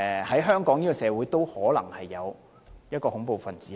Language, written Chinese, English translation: Cantonese, 在香港社會，也可能會有恐怖分子。, There may be terrorists in the society of Hong Kong